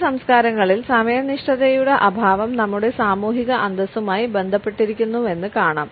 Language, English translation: Malayalam, In some cultures we find that lack of punctuality is associated with our social prestige